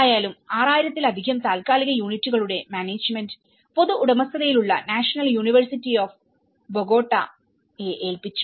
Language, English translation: Malayalam, The management of the more than 6,000 temporary units was assigned to publicly owned national university of Bogota